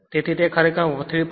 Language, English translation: Gujarati, So, it comes actually 3